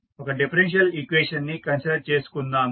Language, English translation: Telugu, Let us consider one differential equation